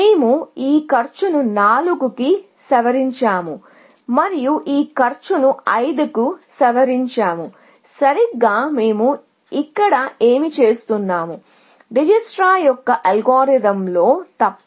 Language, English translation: Telugu, So, we revise this cost to 4 and revise this cost to 5; exactly, what we are doing here, except that in the Dijikistra’s algorithm, you would do it on the graph itself